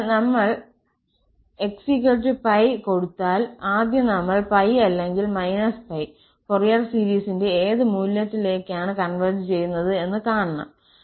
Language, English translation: Malayalam, So, if we put this x is equal to plus pi, first we have to see at plus pi or minus pi, that to what value the Fourier series converges